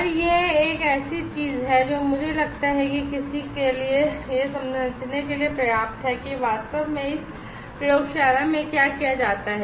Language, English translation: Hindi, And this is a thing I feel it is enough for someone to understand that what exactly is done in this laboratory